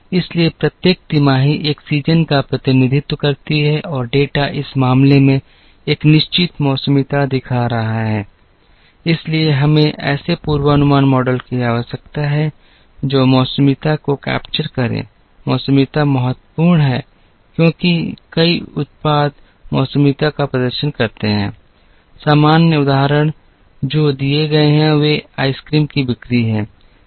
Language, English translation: Hindi, So, each quarter represents a season and the data is showing a certain seasonality in this case, so we need forecasting models that capture seasonality, seasonality is important because several products exhibit seasonality, common examples, that are given are the sale of ice creams are higher in summer than in winter